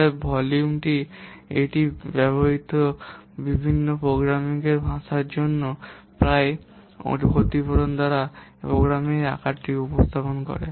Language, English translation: Bengali, Therefore, the volume V, it represents the size of the program by approximately compensatory for the effect of the different programming languages used